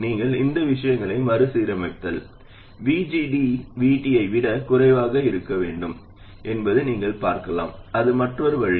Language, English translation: Tamil, And if you rearrange these things, you can also see that VGD has to be less than VT